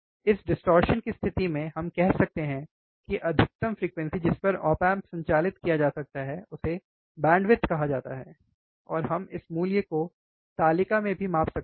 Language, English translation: Hindi, At this distortion, right we can say that, the maximum frequency at which the op amp can be operated is called bandwidth, and we can also measure this value in table